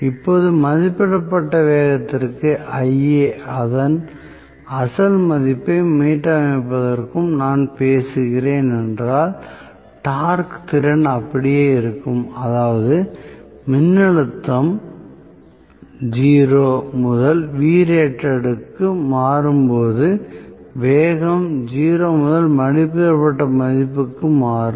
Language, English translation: Tamil, Now, if I am talking about below rated speed and Ia restoring to its original value, torque capability remains the same, that means the speed will change from 0 to rated value, when voltage changes from 0 to Vrated